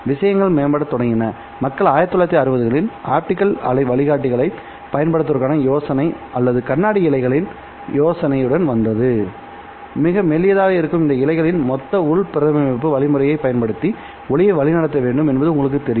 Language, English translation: Tamil, Things started improving and people in the 1960s came up with the idea of using optical wave guides or they came up with the idea of using glass fibers, you know, these fibers which are very thin are supposed to guide light using the mechanism of total internal reflection